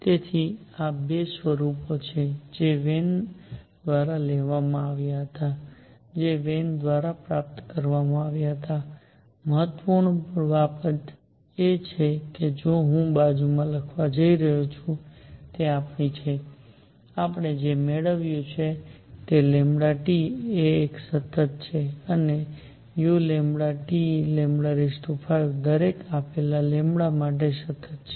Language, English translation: Gujarati, So, these are 2 forms that have been derived by Wien that were derived by Wien, important thing that I am going to write on the side is our; what we have obtained is lambda T is a constant and u lambda T times lambda raise to 5 is a constant for each given lambda